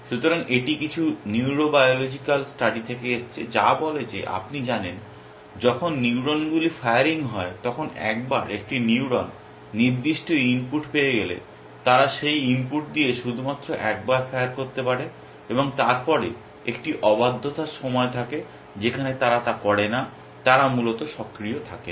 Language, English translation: Bengali, So, this comes from some neurobiological studies which says that, you know when neurons are firing then once a neuron gets certain set of input they can only fire once with that input and then there is a period of refractoriness in which they do not, they are not active at all essentially